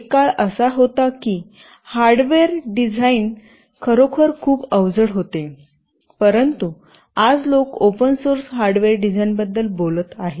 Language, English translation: Marathi, There was a time when hardware design was really very cumbersome, but today people are talking about open source hardware design